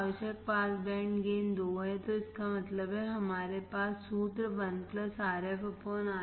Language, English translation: Hindi, Required pass band gain is 2, so that means, we have formula 1 plus Rf by Ri equals to 2 correct